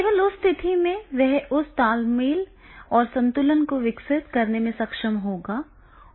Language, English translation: Hindi, Only in that case he will be able to develop that repo and balance